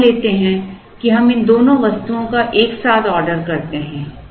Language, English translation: Hindi, Now, let us assume that we order both these items together